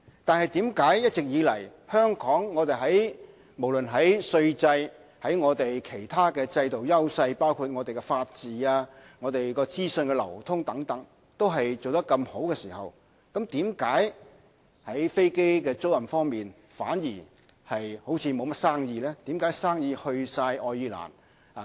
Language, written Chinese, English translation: Cantonese, 但是，一直以來，即使香港無論在稅制和其他制度，包括我們的法治和資訊流通等方面做得這麼好，為何在飛機租賃方面反而好像沒有甚麼生意？, But the question is why aircraft leasing has not picked up despite the sound tax regime and other systems in Hong Kong including our rule of law and free flow of information and why business in this regard has all gone to Ireland and recently started to divert to Singapore